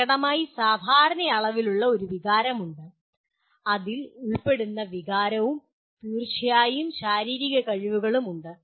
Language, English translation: Malayalam, There is obviously a phenomenal amount of affective, that emotion that is involved and then certainly you have physical skills